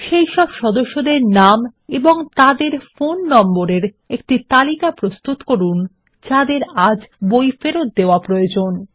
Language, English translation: Bengali, Get a list of member names and their phone numbers, who need to return books today 4